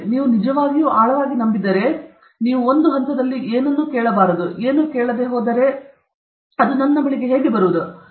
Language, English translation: Kannada, If you really believe so deeply, then at some stage you will understand what is it you will not give which I deserve if you don’t ask, even if you don’t ask, if it has to come to me it will come to me